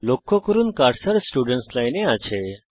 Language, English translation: Bengali, Notice that the cursor is in the Students Line